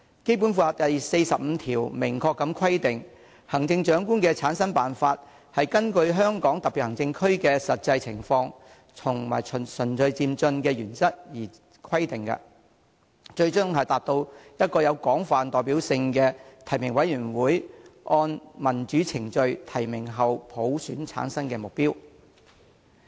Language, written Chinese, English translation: Cantonese, 《基本法》第四十五條明確規定："行政長官的產生辦法根據香港特別行政區的實際情況和循序漸進的原則而規定，最終達至由一個有廣泛代表性的提名委員會按民主程序提名後普選產生的目標。, It is explicitly stipulated in Article 45 of the Basic Law that The method for selecting the Chief Executive shall be specified in the light of the actual situation in the Hong Kong Special Administrative Region and in accordance with the principle of gradual and orderly progress . The ultimate aim is the selection of the Chief Executive by universal suffrage upon nomination by a broadly representative nominating committee in accordance with democratic procedures